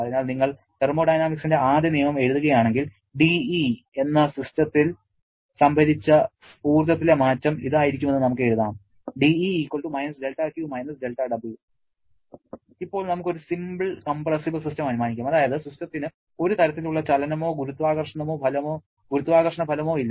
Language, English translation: Malayalam, So, if you write the first law of thermodynamics then we can write that dE the change in the internal energy sorry the change in the stored energy of the system will be= del Q del W and now let us assume a simple compressible system that is the system does not have any kind of motion or gravitational effect